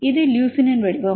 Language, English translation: Tamil, What is leucine